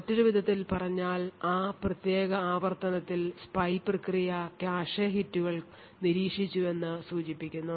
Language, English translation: Malayalam, In other words a lighter color would indicate that the spy process in that particular iteration had observed cache hits